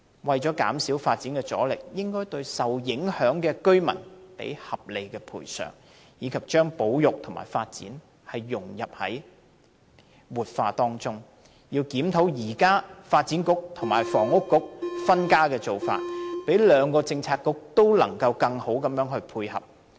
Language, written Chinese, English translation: Cantonese, 為減少發展阻力，政府應該合理賠償受影響居民，並將保育融入發展和活化當中，要檢討現時發展局和運輸及房屋局分家的做法，令兩個政策局得以進一步互相配合。, In order to reduce obstacles to the projects the Government should offer reasonable compensation to affected residents and blend conservation into development and revitalization as well as reviewing the existing practice under which the Development Bureau and the Transport and Housing Bureau operate separately with a view to enhance collaboration between the two bureaux